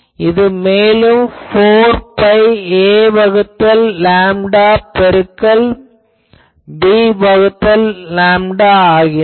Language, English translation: Tamil, So, that becomes 4 pi a by lambda into b by lambda